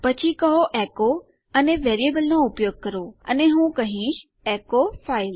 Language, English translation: Gujarati, Then Ill say echo and use the variable and Ill say echo file